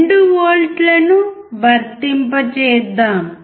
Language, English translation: Telugu, Let us apply 2 volts